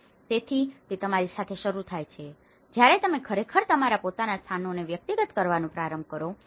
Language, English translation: Gujarati, So, it starts with you, when you actually start personalizing your own spaces